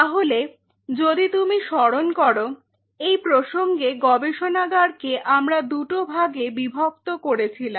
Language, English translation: Bengali, So, in that context if you recollect we divided the lab into 2 parts right